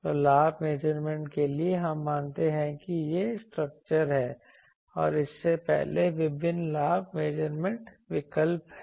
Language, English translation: Hindi, So, for gain measurement we assume this is the structure and there are various gain measurement options before that